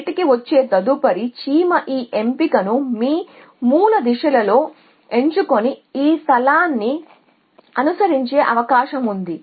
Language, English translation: Telugu, So, the next ant which comes out is more like to choose this selection then in your base directions and follow that kale